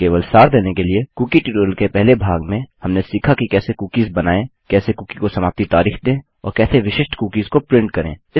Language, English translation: Hindi, Just to summarise in the first part of the cookie tutorial, we learnt how to create cookies, how to give an expiry date to the cookie and how to print out specific cookies